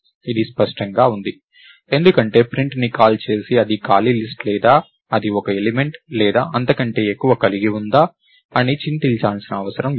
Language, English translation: Telugu, So, this is clean because any one who calls print does not have to worry whether its an empty list or does it contain one element or more